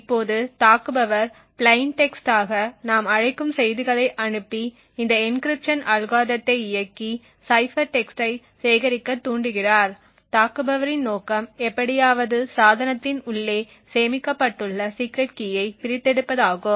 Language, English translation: Tamil, Now the attacker is able to send messages which we now call as plain text trigger this encryption algorithm to execute and also collect the cipher text the objective of the attacker is to somehow extract the secret key which is stored inside the device